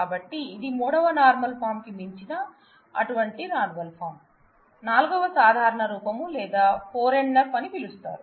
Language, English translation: Telugu, So, such a normal form it is beyond the third normal form is called to be said to be a 4th normal form or 4 NF